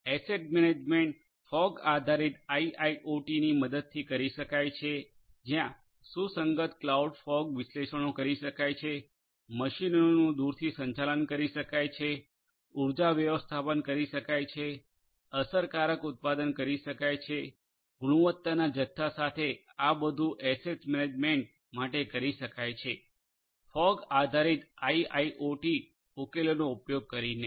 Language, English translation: Gujarati, Asset management can be done with the help of fog based IIoT, where compliant cloud fog analytics can be executed, remote management of machines can be done, energy management can be done, effective production, you know quality with quantity all of these can be done for asset management using fog based IIoT solution, for fog based IIoT problems